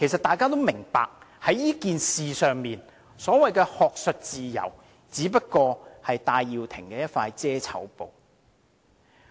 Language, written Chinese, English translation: Cantonese, 大家都明白，在這件事上，所謂學術自由只是戴耀廷的一塊"遮醜布"。, We all understand that in this matter the so - called academic freedom is just Benny TAIs fig leaf